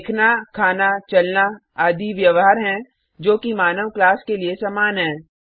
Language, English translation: Hindi, Seeing, eating, walking etc are behaviors that are common to the human being class